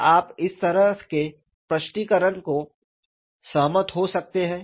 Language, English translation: Hindi, Can you agree to this kind of an explanation